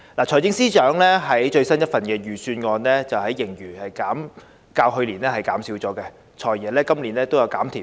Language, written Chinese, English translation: Cantonese, 財政司司長最新一份預算案的盈餘較去年減少，而"財爺"今年也"減甜"。, The latest Budget of the Financial Secretary has a smaller surplus than that of last year while he also hands out fewer candies this year